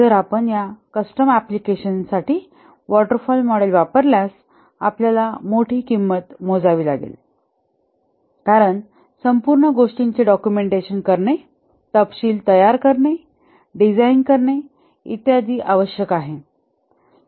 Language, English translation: Marathi, If we use the waterfall model for this custom applications, there will be huge cost because the entire thing has to be documented, specification laid out, design and so on